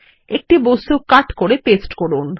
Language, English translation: Bengali, Cut an object and paste it